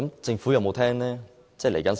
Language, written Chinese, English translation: Cantonese, 政府有否聽取意見？, Has the Government heeded views of the public?